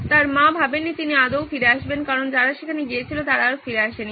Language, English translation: Bengali, His mom didn’t think he would come back at all because people who went there never returned